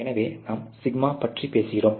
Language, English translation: Tamil, So, that is the σ that we are talking about